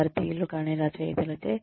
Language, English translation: Telugu, By authors, who are not Indian